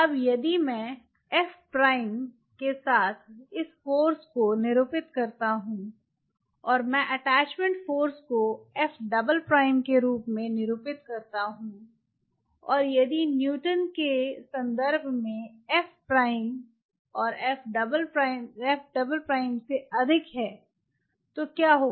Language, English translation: Hindi, now, if I denote this force with f prime and i denote the attachment force as [noise] f double prime, and if f prime [noise] in terms of the newton, is greater than f double prime, then what will happen